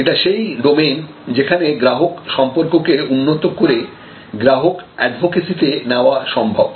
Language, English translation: Bengali, This is the domain from where we may be able to develop some customer relationships to the level of advocacy